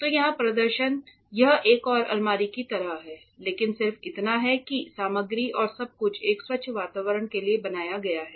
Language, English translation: Hindi, So, here the display it is just like another cupboard, but just that the material and all is made for a clean environment